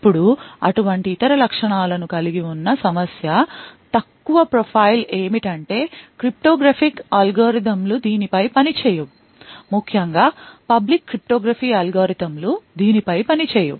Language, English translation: Telugu, Now a problem with having such other characteristics, low profile is that a lot of cryptographic algorithms will not work on this, especially the public cryptography algorithms will not work on this